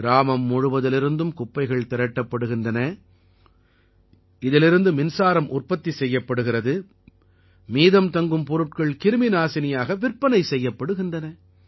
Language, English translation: Tamil, The garbage is collected from the entire village, electricity is generated from it and the residual products are also sold as pesticides